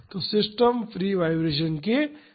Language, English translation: Hindi, So, the system is under free vibration